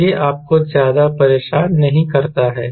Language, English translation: Hindi, so this doesnt bothered you much